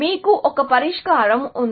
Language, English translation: Telugu, So, you have the solution now